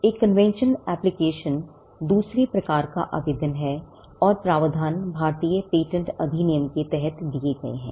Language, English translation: Hindi, A convention application is the second type of application and the provisions are given under the Indian Patents Act